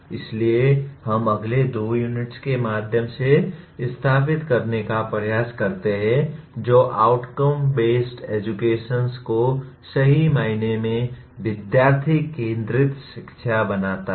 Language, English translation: Hindi, So we try to establish through the next maybe two units that outcome based education truly makes the education student centric